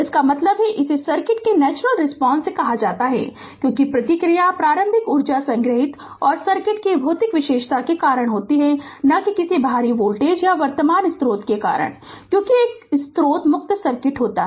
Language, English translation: Hindi, That means this is called your natural response of the circuit, because the response is due to the initial energy stored and the physical characteristic of the circuit right and not due to some external voltage or current source, because there is a source free circuit